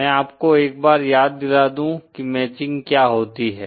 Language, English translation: Hindi, Let me just refresh what we mean by matching